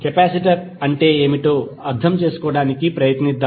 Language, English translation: Telugu, Let us try to understand what is capacitor